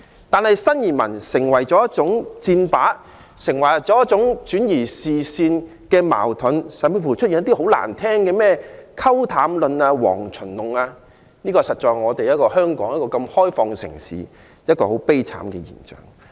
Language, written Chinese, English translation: Cantonese, 但是，新移民成為箭靶，成為轉移視線的工具，坊間甚至出現一些很難聽的"溝淡論"、"蝗蟲論"，實在是香港這個開放的城市一種很悲哀的現象。, But then it is sorrowful in this open society of Hong Kong to see new arrivals become a target of attack and a tool for distracting people while some disgusting remarks emerge in the community such as the diluting theory and the locust theory